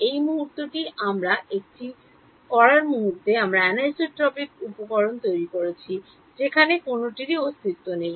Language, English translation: Bengali, The moment we do it we have created anisotropic materials where none existed right